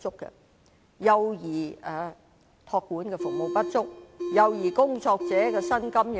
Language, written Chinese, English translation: Cantonese, 幼兒託管的服務不足，幼兒工作者的薪金亦過低。, They pointed out that child care services were insufficient and the salaries for child care workers were too low